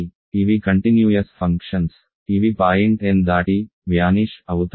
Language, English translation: Telugu, So, these are continuous functions which vanish beyond the point n